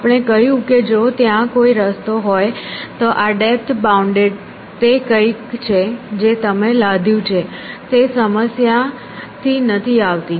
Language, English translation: Gujarati, We said that if there is path see this depth bound is something that you have imposed it is does not come from the problem